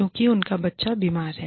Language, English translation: Hindi, Because, their child is sick